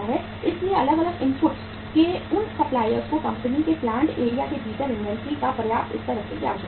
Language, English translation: Hindi, So those suppliers of different inputs are supposed or are required to keep a sufficient level of the inventory with them within the plant area of the company